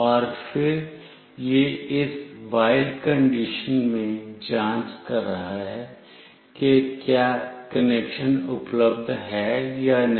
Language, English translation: Hindi, And then it is checking in this while condition, whether the connection is available or not